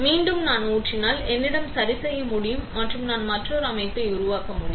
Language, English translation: Tamil, Again if I pour, I can cure and I can create another structure